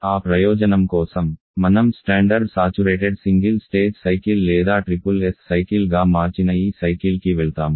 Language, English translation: Telugu, And for that purpose we move to this cycle which we have turned as a standard saturated single stage cycle or the SSS cycle